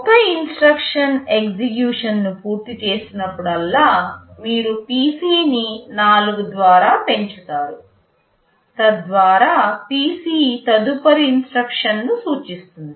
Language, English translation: Telugu, Whenever one instruction finishes execution, you increment PC by 4, so that PC will point to the next instruction